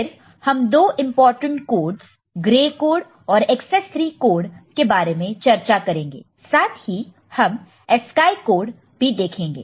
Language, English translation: Hindi, Then we shall discuss two important such codes, gray code and excess 3 code and also, we shall discuss ASCII code